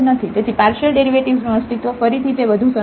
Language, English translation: Gujarati, So, the existence of partial derivatives again it is easier